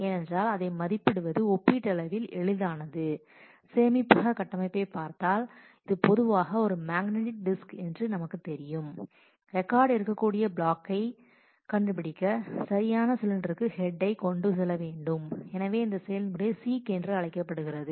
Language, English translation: Tamil, Because and it is relatively easy to estimate that because as we have looked at the storage structure we know that it is a typically a magnetic disk which where the head has to move to the correct cylinder to find the block where the records can be located